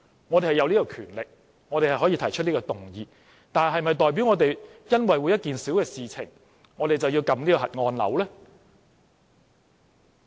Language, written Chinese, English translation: Cantonese, 我們是擁有這種權力，可以提出動議，但是否代表我們會因為一件小事便按下"核按鈕"呢？, We have this kind of powers indeed and we can move motions but does it mean we must press the nuclear button for a minor matter?